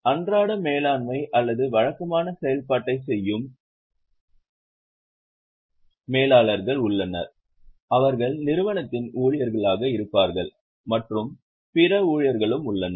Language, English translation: Tamil, There are managers who are doing day to day management or regular functioning who will be the employees of the company